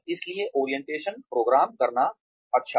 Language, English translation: Hindi, So, it is nice to have an orientation program